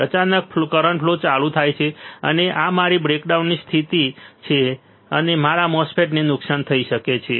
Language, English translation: Gujarati, It suddenly the current shoots up and this is my breakdown condition all right and my MOSFET can be damaged